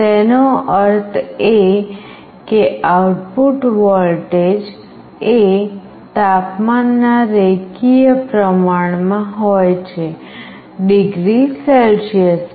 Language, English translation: Gujarati, It means that the output voltage is linearly proportional to the temperature in degree Celsius